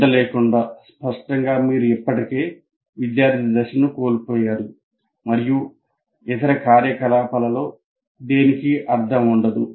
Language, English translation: Telugu, And without attention, obviously, you already lost the student and none of the other activities will have any meaning